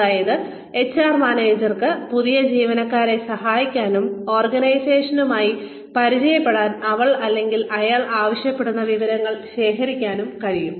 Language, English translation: Malayalam, That, the HR manager can help the new employee, collect the information that, she or he requires, in order to become familiar, with the organization